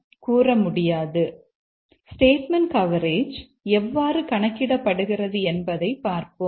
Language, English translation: Tamil, Now let's see how the statement coverage is computed